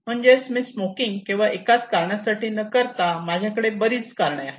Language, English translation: Marathi, So why I am smoking is not that only because of one reason